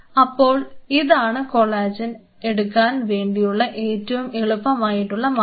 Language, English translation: Malayalam, So, this is one of the easiest and simplest way how you can obtain collagen